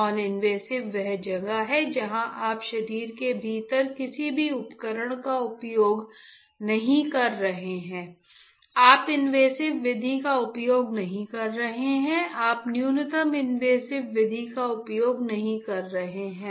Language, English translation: Hindi, Noninvasive is where you are not using any device within the body, you are not using invasive method you are not using minimally invasive method